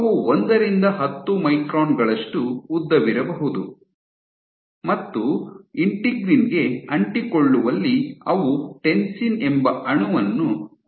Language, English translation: Kannada, They can we 1 to 10 microns in length and in adhesion to Integrin they have this molecule called Tensin